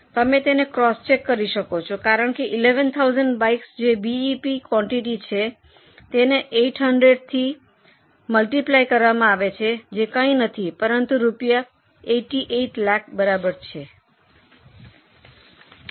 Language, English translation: Gujarati, You can cross check it also because 11,000 bikes is a BEP quantity multiplied by 800 that is nothing but rupees, 88 lakhs